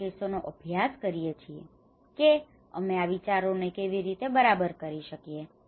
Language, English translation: Gujarati, Some of the case studies to see that how we can apply these ideas okay